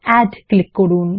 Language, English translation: Bengali, Click on Add